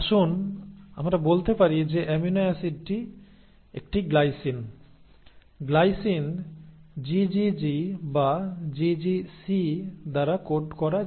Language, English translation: Bengali, So let us say the amino acid is a glycine, the glycine can be coded by GGG or GGC